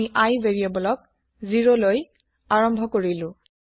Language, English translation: Assamese, We have initialized the variable i to 0